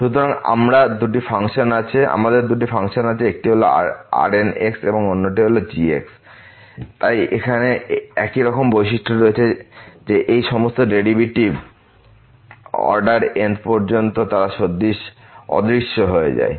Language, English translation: Bengali, So, we have 2 functions one is and another one is they have similar properties here that all these derivative upto order they vanish